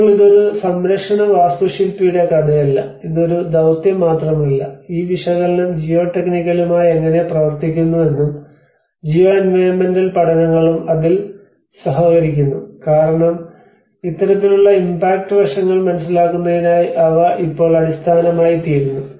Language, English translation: Malayalam, Now, it is not a story of a conservation architect, it is not only a task but how this analysis works with the geotechnical and the geoenvironmental studies also collaborate in it because they becomes the base now in order to understand the impact aspects of this kind of case that is risk aspect